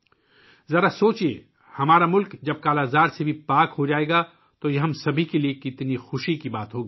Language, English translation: Urdu, Just think, when our country will be free from 'Kala Azar', it will be a matter of joy for all of us